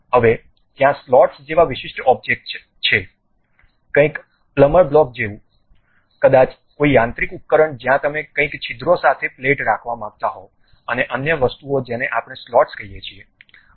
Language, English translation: Gujarati, Now, there are specialized objects like slots, something like you have a plumber blocks, maybe any mechanical device where you want to keep something like a plate with holes and other things that kind of things what we call slots